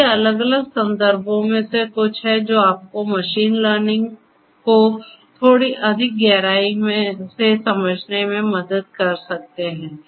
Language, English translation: Hindi, So, these are some of these different references that can help you to get a little bit more in depth understanding of machine learning